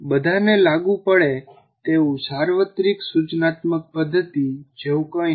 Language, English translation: Gujarati, So there is nothing like a universal instructional method that is applicable to all